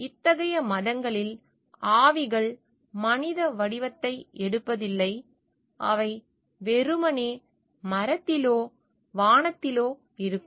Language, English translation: Tamil, In such religions spirits do not take human form and are simply within tree or the sky